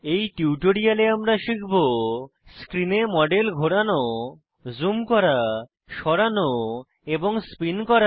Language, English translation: Bengali, In this tutorial,we have learnt to Rotate, zoom, move and spin the model on screen